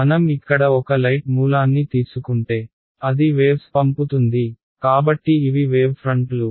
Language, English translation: Telugu, So, if I take a light source over here which is sending out waves, so these are the waves fronts